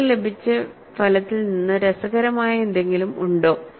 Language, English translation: Malayalam, Is there anything interesting from the result that you have got